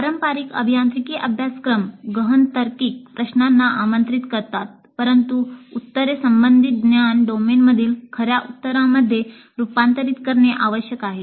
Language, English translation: Marathi, The traditional engineering courses invite deep reasoning questions, but the answers must converge to true within court's in the relevant knowledge domain